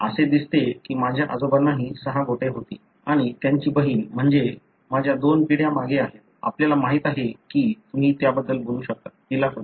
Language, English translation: Marathi, It looks like my grandfather also had six fingers, and his sister, that is my two generations back, you know you can talk about that way, she had